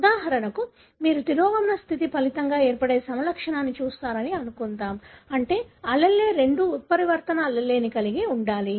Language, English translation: Telugu, For example, let us assume that you are looking at a phenotype resulting from a recessive condition, meaning both the allele should carry the mutant allele